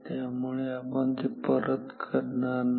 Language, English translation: Marathi, So, we will not do it again